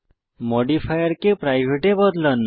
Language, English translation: Bengali, We will now change the modifier to private